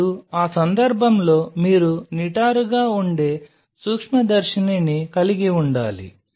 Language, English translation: Telugu, Now in that case you will have to have a microscope which is upright